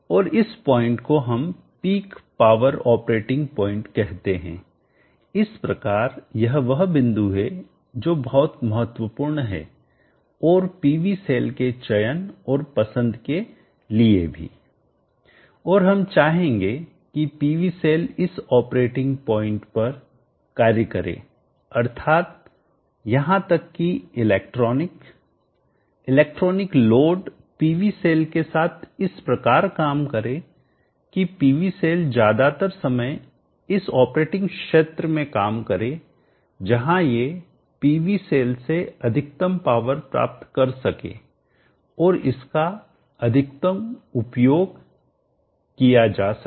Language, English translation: Hindi, And this point we shall call as the peak power operating point, so this is the point that is very important and the choice and selection of the PV scene to and we would like also to operate the PV cells at this operating point which means even the electronics the electronic load to the PV cell should behave in such a manner that the PV cell is most of the time operating in this region where it is capable of delivering the max power from the PV cell and thereby utilizing it to the so least